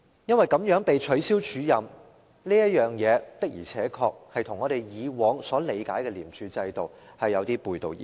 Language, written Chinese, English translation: Cantonese, 因為她這樣被取消署任，的而且確與我們以往所理解的廉署制度有點背道而馳。, The way that Ms Rebecca LIs acting appointment was cancelled is indeed quite contradictory to our usual understanding of the way things are run in ICAC